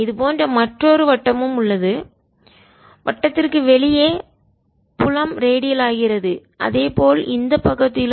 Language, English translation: Tamil, around it there is another circle like this outside the, out of the circle of the field, radiant on this side also